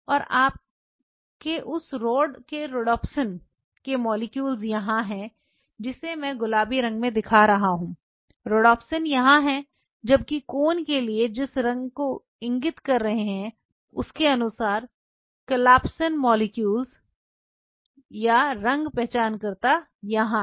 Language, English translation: Hindi, And your rhodopsin’s molecules are sitting here for the rod which I am showing in pink colors the rhodopsin’s are sitting here whereas, for the cones depending on which colors they are indicating the collapsing molecules or color identifiers are sitting here